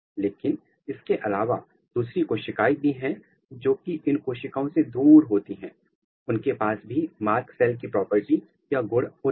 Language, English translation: Hindi, But, apart from that there are other cells as well which are away from these cells, they have also got the marked cell property